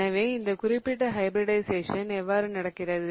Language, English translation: Tamil, So, now how does this particular hybridization look like